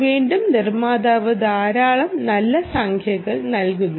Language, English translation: Malayalam, the manufacturer gives a lot of nice numbers